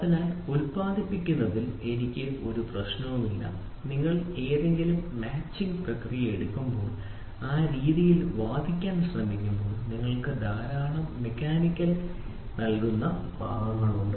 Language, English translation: Malayalam, So, then I do not have any problem in producing and when you try to argue in that way in when you take any machining process you have lot of mechanical moving parts